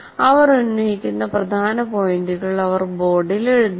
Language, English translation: Malayalam, And she writes up the salient points they make on the board